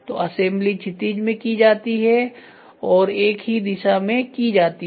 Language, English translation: Hindi, So, assembly is done in the horizontal way and in single direction